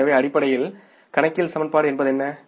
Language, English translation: Tamil, So, basically what is accounting equation